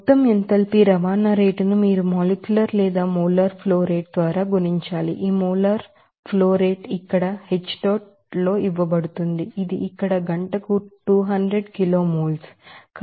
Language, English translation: Telugu, So to that total enthalpy transport rate you have to multiply it by molecular or molar flow rate there, this molar flow rate is given here in H dot that is here 200 kilomole per hour